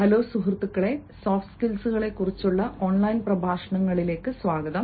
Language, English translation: Malayalam, hello friends, welcome back to online lectures on soft skills